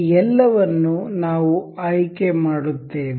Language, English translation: Kannada, We will select all of these